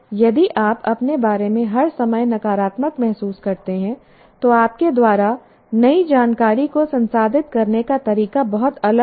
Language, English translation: Hindi, If you feel all the time negative about yourself, the way you will process new information will be very different